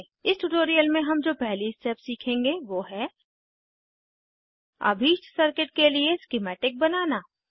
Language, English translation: Hindi, In this tutorial we will learn first step, that is, Creating a schematic for the desired circuit